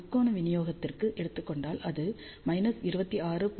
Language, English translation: Tamil, If, we take triangular distribution it is minus 26